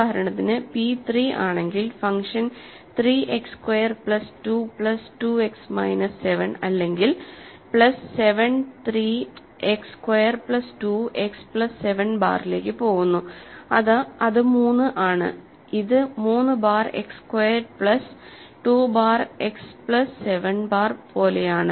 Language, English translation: Malayalam, So, for example, if p is 3 and the function sense let us say phi 3 of 3 X squared plus 2 X minus 7 or plus 7 goes to 3 X squared plus 2 X plus 7 bar which is 3 is; so, this is like 3 bar X squared plus 2 bar X plus 7 bar